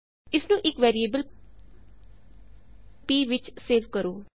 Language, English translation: Punjabi, Save this to the variable,say p